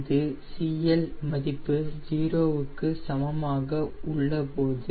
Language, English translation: Tamil, this is at cl is equals to zero